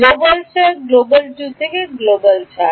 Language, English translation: Bengali, Global 4 global 2 to global 4